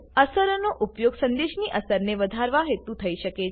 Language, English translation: Gujarati, Effects can be used to enhance the impact of a message